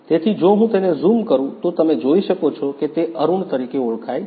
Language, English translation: Gujarati, So, if I zoom it so, you can see that it has been identified as Arun